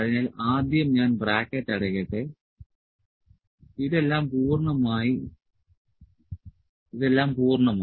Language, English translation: Malayalam, So, first let me close the bracket this is all complete course